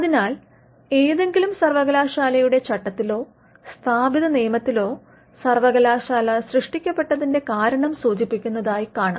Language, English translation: Malayalam, So, you will see that the statute or the establishing enactment of any university would mention the reason, why the university was created